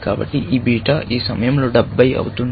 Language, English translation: Telugu, So, this beta becomes 70 at this moment